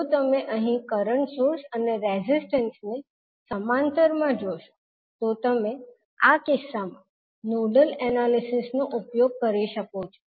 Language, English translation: Gujarati, If you see here the current source and the resistances are in parallel so you can use nodal analysis in this case